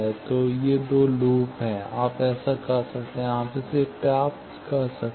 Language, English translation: Hindi, So, these two loops, you do that, and you can get this